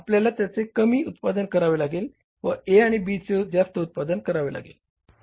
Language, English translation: Marathi, So, we will have to produce them less and produce more of A and B